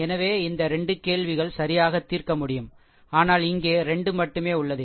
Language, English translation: Tamil, So, these 2 questions can be solved right, but here it is only 2 you are, what you call only 2 unknown